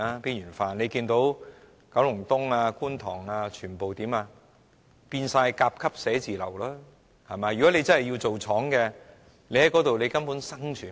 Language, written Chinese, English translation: Cantonese, 大家看見九龍東和觀塘等全部都已變成甲級寫字樓，如果真的要經營工廠，在那些地區根本無法生存。, We have seen that such places as Kowloon East and Kwun Tong have all become Grade A offices . If factories are to be operated there they will not be able to survive in these districts at all